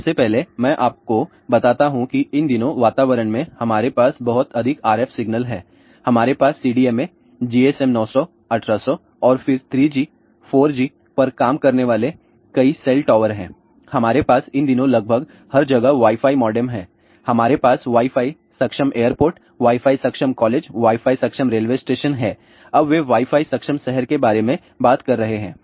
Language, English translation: Hindi, So, why it is important first of all I tell you these days in the atmosphere we have too many RF signals, we have too many cell towers working at CDMA, GSM 900, 1800 then 3G, 4G we have Wi Fi modems almost everywhere these days, we have a Wi Fi enabled airports Wi Fi enabled colleges, Wi Fi enabled railway stations, now they are talking about Wi Fi enabled city